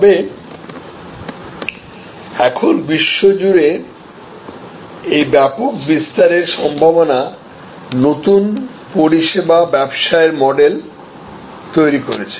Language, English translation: Bengali, But, now this mass extensive delivery possibility across the globe has created new service business models